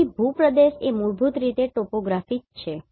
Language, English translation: Gujarati, So, terrain is basically the topography right